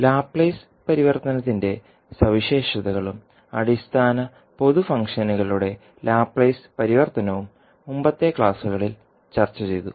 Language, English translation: Malayalam, Now, properties of the Laplace transform and the Laplace transform of basic common functions were discussed in the previous classes